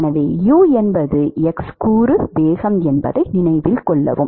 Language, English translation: Tamil, So, note that u is the x component velocity